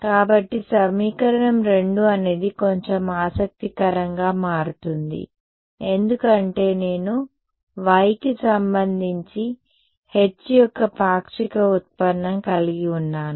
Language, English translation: Telugu, So, equation 2 is where it will become a little interesting because I have partial derivative of H with respect to y